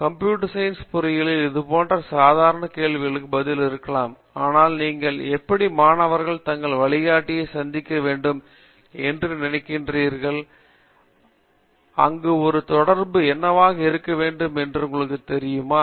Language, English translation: Tamil, Along similar lines in computer science engineering you may be a bit of a mundane question, but how often do you think student should be meeting their guides and you know what sort of an interaction should be there